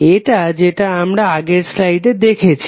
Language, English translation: Bengali, This is what we saw in the previous slide